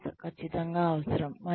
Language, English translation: Telugu, This is absolutely essential